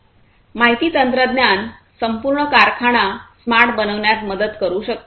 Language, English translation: Marathi, Information technology can help in making the overall factory smart